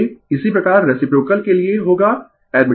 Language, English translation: Hindi, Similarly for reciprocal will be your admittance